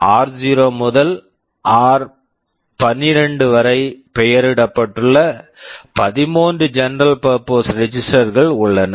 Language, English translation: Tamil, There are 13 general purpose registers r 0 to r12